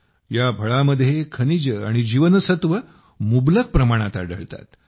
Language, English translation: Marathi, In this fruit, minerals and vitamins are found in abundance